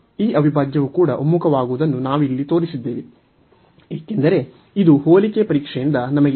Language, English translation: Kannada, So, what we have shown here that this integral also converges, because this we have by the comparison test